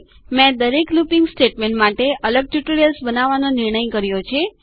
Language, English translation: Gujarati, I have decided to create seperate tutorials for each looping statement